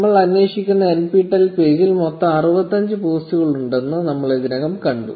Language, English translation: Malayalam, We already saw that the NPTEL page we are querying had about 65 posts in total